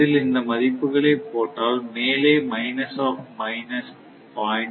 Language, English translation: Tamil, 2 right that is why this is minus of minus 0